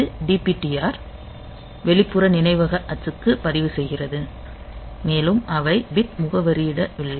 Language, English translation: Tamil, So, this makes that DPTR register for external memory axis and they are not bit addressable